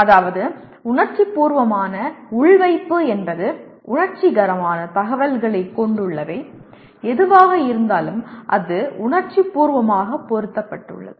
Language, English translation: Tamil, That means emotive implanting means that whatever that has sensory information that has come it has been emotively implanted